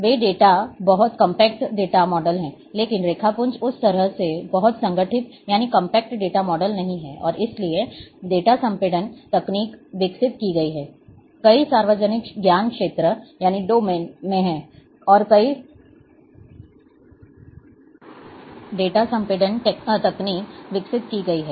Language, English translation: Hindi, Those datas are very compact data models, but raster is not in that ways very compact data model, and therefore, data compression techniques have been developed, are been developed